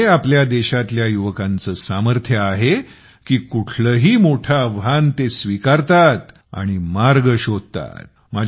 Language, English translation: Marathi, And it is the power of the youth of our country that they take up any big challenge and look for avenues